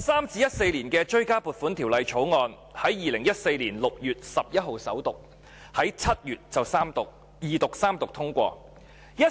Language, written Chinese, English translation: Cantonese, 《追加撥款條例草案》在2014年6月11日首讀，在7月二讀及三讀通過。, The Supplementary Appropriation 2013 - 2014 Bill was read the First time on 11 June 2014 and passed after being read the Second and Third times in July